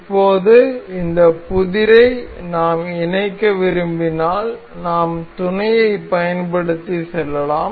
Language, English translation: Tamil, Now, if we want to mate this this puzzle, we can go through mate